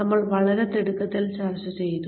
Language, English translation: Malayalam, We discussed very hurriedly